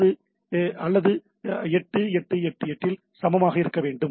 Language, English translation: Tamil, So, it has to be equal on 8 8 8 8